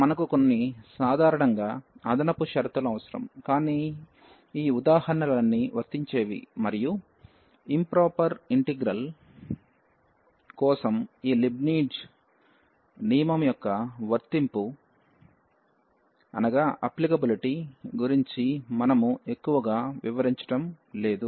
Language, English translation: Telugu, We need some extra conditions in general, but all these examples that is applicable and we are not going much into the details about the applicability of this Leibnitz rule for improper integrals